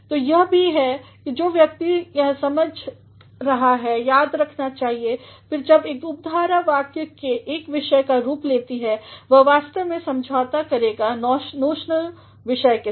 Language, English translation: Hindi, So, this is what one should remember; again when a clause acts as the subject of a sentence it actually will agree with the notional subject